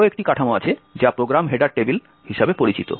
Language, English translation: Bengali, So, we will look how the program header table looks like